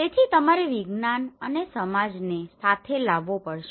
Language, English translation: Gujarati, So you have to bring the science and society together